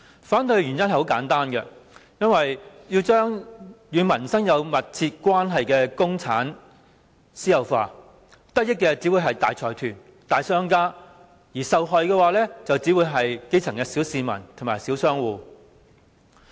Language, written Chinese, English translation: Cantonese, 反對的原因很簡單，因為把與民生有密切關係的公共資產私有化，得益的只會是大財團、大商家，而受害的只會是基層市民與小商戶。, The reason for our opposition was simple . It was because the privatization of public assets closely related to the peoples livelihood would benefit only the large consortiums and tycoons whereas the victims would only be the grass - roots people and small business operators